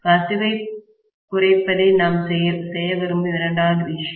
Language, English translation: Tamil, The second thing we would like to do is very clearly to reduce the leakage